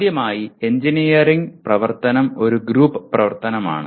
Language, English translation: Malayalam, First thing is any engineering activity is a group activity